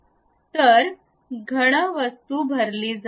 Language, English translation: Marathi, So, the solid object will be completely filled